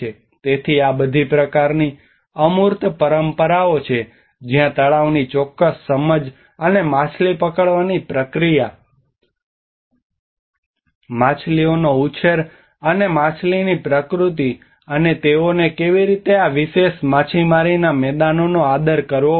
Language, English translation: Gujarati, So this is all kind of intangible traditions where certain understanding of the lake, and the fishing, fish breedings and the nature of fish and how they have to respect these particular fishing grounds